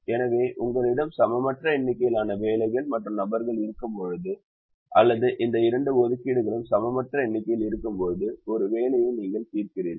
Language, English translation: Tamil, so this is how you solve an assignment problem when you have an unequal number of jobs and people, or an unequal number of both these tasks